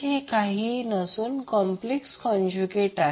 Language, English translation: Marathi, This is nothing but the complex conjugate of Zth